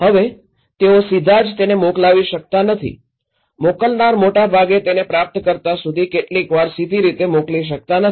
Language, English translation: Gujarati, Now, they cannot directly send, sender cannot directly send it to receiver most of the time